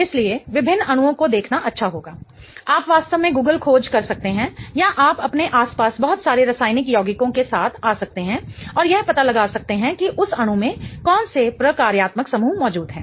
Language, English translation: Hindi, You can really Google search or you can come up with a lot of chemical compounds around you and figure out what functional groups are present in that molecule